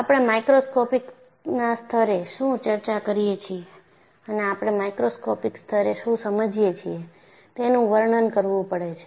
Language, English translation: Gujarati, So, you have to delineate what we discuss at the microscopic level and what we understand at the macroscopic level